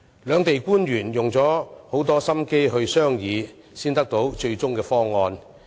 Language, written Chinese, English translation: Cantonese, 兩地官員花了很多心機進行商議，才達致最終方案。, It was only after painstaking negotiations between officials of both sides that a decision was reached on the final package